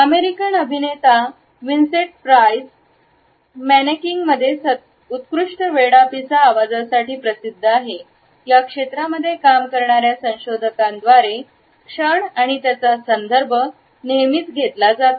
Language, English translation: Marathi, The American actor Vincent Price is famous for his excellent creaky voice in menacing moments and it has always been referred to by researchers working in this area